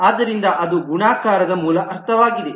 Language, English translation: Kannada, So that is the basic sense of multiplicity